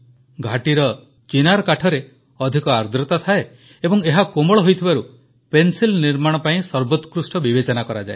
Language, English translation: Odia, Chinar wood of the valley has high moisture content and softness, which makes it most suitable for the manufacture of pencils